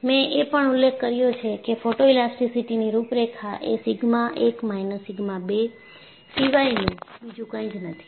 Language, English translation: Gujarati, I also mentioned, photoelastic contours are nothing but contours are sigma 1 minus sigma 2